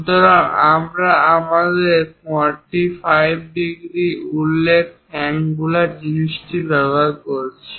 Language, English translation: Bengali, So, we are using this angular thing mentioning our 45